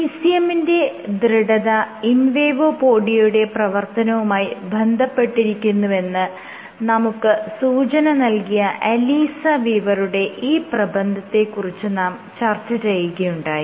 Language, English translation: Malayalam, And I began discussing this paper by Alissa Weaver, who showed that ECM stiffness is correlated with invadopodia activity